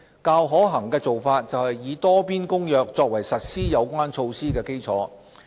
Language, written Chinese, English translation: Cantonese, 較可行的做法是以《多邊公約》作為實施有關措施的基礎。, A more practical approach is for jurisdictions to adopt the Multilateral Convention as a basis to implement the relevant initiatives